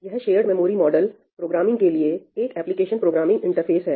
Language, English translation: Hindi, It is an Application Programming Interface for shared memory model programming